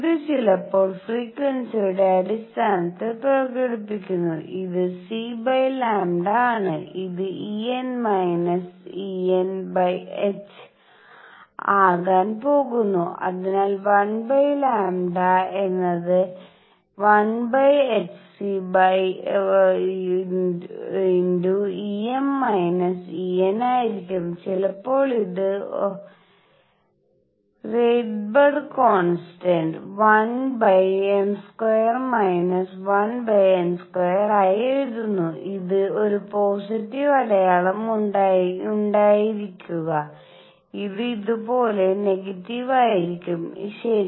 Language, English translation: Malayalam, This is sometimes expressed in terms of frequency this is C over lambda is going to be E m minus E n over h and therefore, 1 over lambda is going to be 1 over h c E m minus E n, sometimes this is written as Rydberg constant 1 over m square minus 1 over n square and this is to have a positive sign, this is going to be negative like this, all right